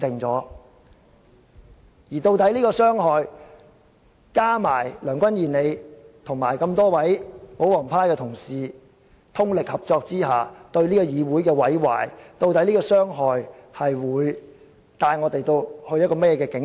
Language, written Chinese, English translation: Cantonese, 再加上梁君彥議員和各位保皇黨的同事通力合作，對這個議會造成毀壞，究竟這種傷害會帶我們前往怎樣的境地？, In addition Mr Andrew LEUNG and various Honourable colleagues of the pro - Government camp have fully cooperated with each other causing damage to this Council . After all to what kind of situation will such harm lead us?